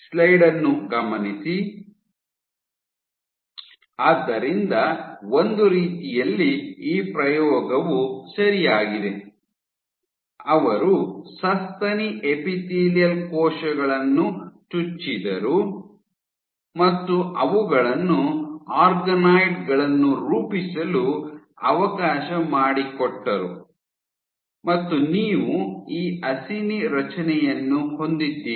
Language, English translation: Kannada, So, what the way this set of the experiment was ok, so they injected the mammary epithelial cells let them form organoids you have this acini structure formed